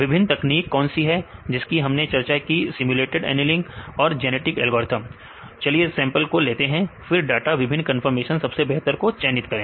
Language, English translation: Hindi, What are the various techniques we discussed simulated annealing and genetic algorithm let us say the sample right the data right different conformation and pick the best